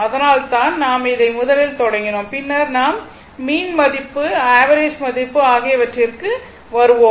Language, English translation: Tamil, So, that is why I have started with this one first, then we will come to the mean value and average value